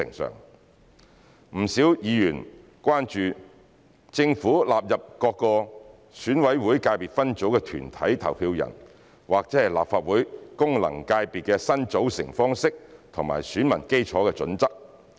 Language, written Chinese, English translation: Cantonese, 不少議員關注政府納入各個選委會界別分組的團體投票人或立法會功能界別的新組成方式及選民基礎的準則。, Quite a few Members are concerned about the criteria for the Governments inclusion of corporate voters in various ECSS or the new method of formation and the electorates of FCs of the Legislative Council